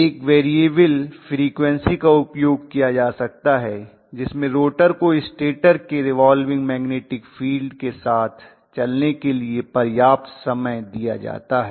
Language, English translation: Hindi, One may be using variable frequency wherein I am going to give sufficient time for the rotor to catch up with you know the stator revolving magnetic field